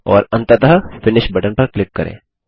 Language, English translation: Hindi, and click on the Next button